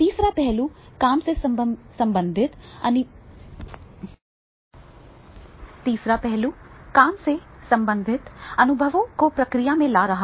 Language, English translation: Hindi, Third point is bring more work related experiences into the process